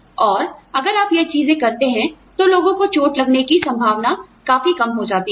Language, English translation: Hindi, And, if you do these things, the chances of people getting hurt, are significantly reduced